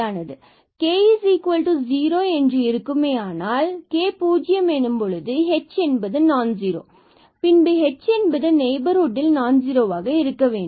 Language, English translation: Tamil, Suppose this k is 0, so if if k is 0 then h has to be non zero, h has to be non zero to have in the neighborhood